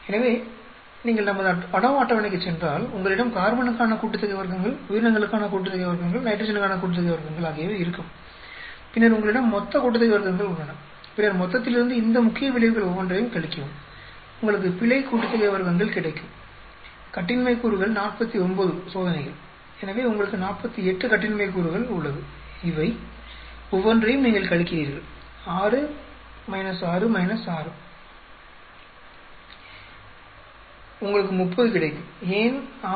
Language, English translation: Tamil, So if you go to our ANOVA table, you have the sum of squares for carbon, sum of squares for the organisms, sum of squares for the nitrogen and then you have the total sum of squares then subtract each one of these main effects from the total, you get the error sum of squares, degrees of freedom 49 experiments, so you have 48 degrees of freedom you subtract each one of these 6 minus 6 minus 6 you get 30, why 6